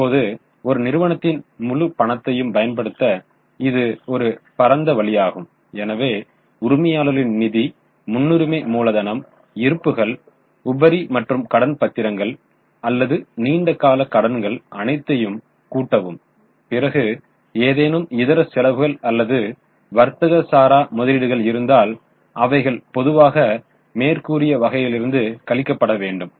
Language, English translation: Tamil, Now this is a broad base, all all the money used so we are adding equity that is owner's fund plus preference capital plus reserves and surplus plus debentures or any long term debts if there are any miscellaneous expenses or non trade investments they are usually removed because if you are putting some money outside business return on that investment can be separately calculated